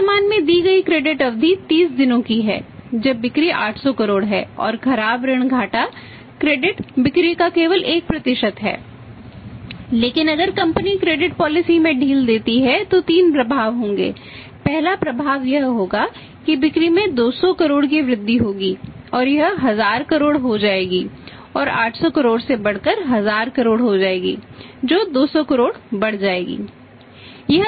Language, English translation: Hindi, But if company will relaxes the credit policy there will be 3 ways first effect will be that sales will increase by 200 crore’s it will become 1000 crore and go up from 800 crore to 1000 crore increased by 200 crore